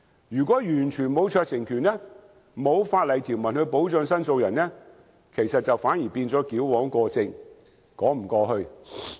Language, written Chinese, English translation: Cantonese, 如果完全沒有酌情權，沒有法例條文保障申訴人，反而是矯枉過正，說不過去。, If such discretion is not provided for in the Bill the claimant will be deprived of any protection . It is overkill and is unjustifiable